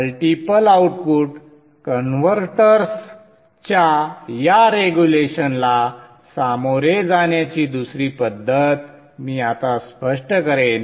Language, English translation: Marathi, I shall now illustrate another method of tackling this regulation of multi output converters